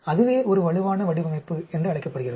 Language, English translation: Tamil, That is called a robust design